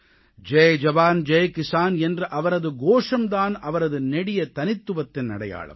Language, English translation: Tamil, His slogan "Jai Jawan, Jai Kisan" is the hall mark of his grand personality